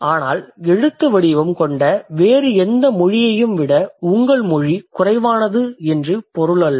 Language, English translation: Tamil, But that doesn't mean that your language is any less than any other language which has a script